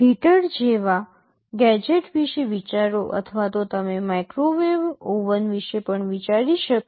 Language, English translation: Gujarati, Think of a gadget like heater or even you can think of microwave oven